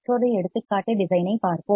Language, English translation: Tamil, Let us see another example design